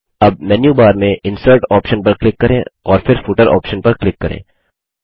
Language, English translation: Hindi, Now click on the Insert option in the menu bar and then click on the Footer option